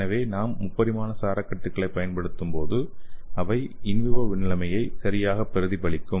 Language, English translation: Tamil, So when you use this 3 dimensional scaffold and that will exactly mimic like you are In vivo condition